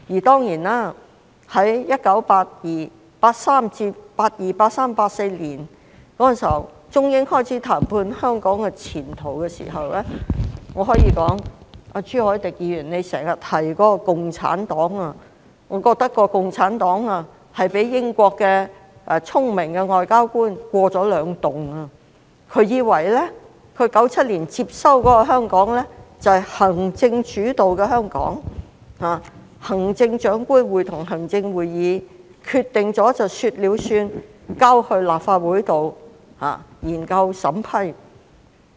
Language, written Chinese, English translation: Cantonese, 在1982年至1984年，中英雙方開始就香港前途進行談判，我可以說，朱凱廸議員經常提到的共產黨，被聰明的英國外交官欺騙了，以為在1997年接收的香港是行政主導，是行政長官會同行政會議說了算，立法建議之後會提交立法會研究和審批。, From 1982 to 1984 China and Britain started to negotiate on the future of Hong Kong . I can say that the Communist Party of China CPC often mentioned by Mr CHU Hoi - dick was deceived by a smart British diplomat into thinking that after Hong Kongs handover in 1997 the Government was executive - led the Chief Executive in Council had the final say and legislative proposals would be submitted to the Legislative Council for examination and approval